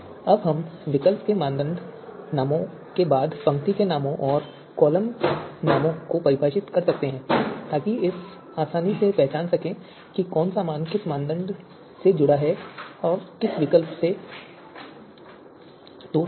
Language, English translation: Hindi, Now we can also define the row names and column names after the alternative and criteria names so that we can easily identify which value is associated with which criterion and which alternative